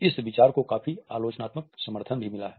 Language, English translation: Hindi, This idea has also received a lot of critical support